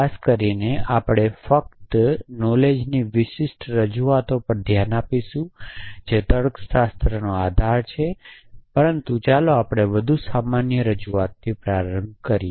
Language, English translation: Gujarati, In particular we will look only at a specific kind of knowledge representation which is logic base, but let us start off with the more general representation